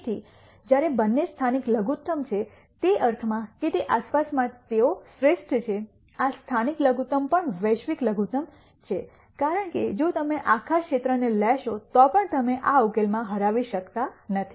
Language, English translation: Gujarati, So, while both are local minimum in the sense that in the vicinity they are the best this local minimum is also global minimum because if you take the whole region you still cannot beat this solution